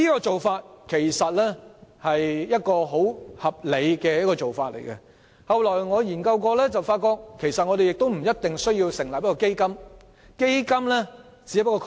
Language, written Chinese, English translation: Cantonese, 這其實是一種相當合理的做法，而我後來亦曾進行研究，發現我們不一定要成立基金，因為基金只是一個概念。, It is actually quite a sensible approach and as revealed by my subsequent study the establishment of a fund may not be the only option because it is a mere concept